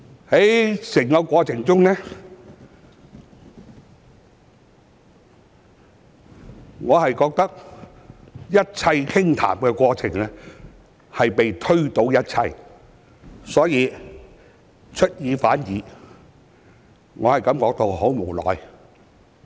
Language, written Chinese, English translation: Cantonese, 在整個過程中，我覺得一切傾談的過程被全部推倒，出爾反爾，我感到很無奈。, Throughout the whole process I felt that what was said during the negotiation were repudiated and reneged on afterwards . I am very frustrated